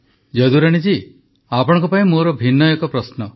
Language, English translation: Odia, Jadurani ji, I have different type of question for you